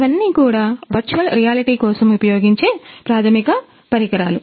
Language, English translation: Telugu, So, these are the equipments basic equipments for the virtual reality